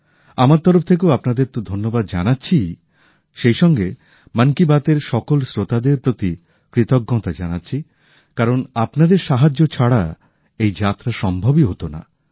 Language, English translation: Bengali, From my side, it's of course THANKS to you; I also express thanks to all the listeners of Mann ki Baat, since this journey just wouldn't have been possible without your support